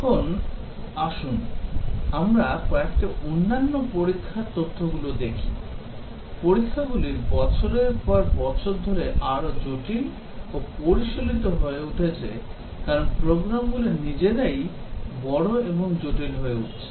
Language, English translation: Bengali, Now, let us look at a few other testing facts the testing over the years has becoming more complex and sophisticated largely because, the programs themselves are becoming large and complex